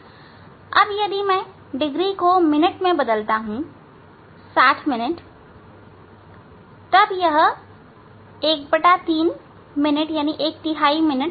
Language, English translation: Hindi, now, if I degree convert to the minutes, 60 minutes, so then it is becoming, it becomes one third minute